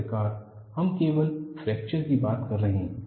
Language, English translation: Hindi, See, finally, we are only dealing with fracture